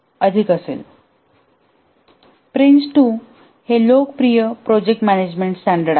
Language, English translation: Marathi, Prince 2 is a popular project management standard